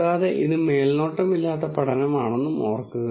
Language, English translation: Malayalam, And also remember that this is a unsupervised learning